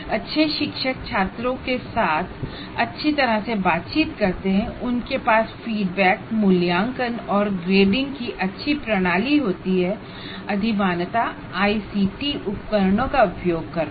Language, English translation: Hindi, Have teachers who interact with the students, well with the students, and have good systems of feedback, assessment and grading preferably using ICT tools these days